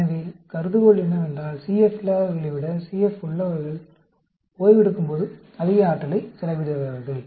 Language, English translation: Tamil, So, the hypothesis is, CF expends greater energy during resting than those without CF